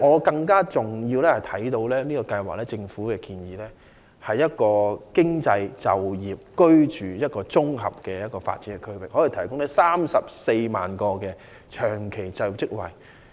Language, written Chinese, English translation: Cantonese, 更重要的是，政府建議的計劃是集經濟、就業和居住於一身的綜合發展區，可以提供34萬個長期就業職位。, More importantly the plan proposed by the Government is about the building of an integrated development area embracing economic activities job opportunities and housing and it can provide 340 000 permanent job positions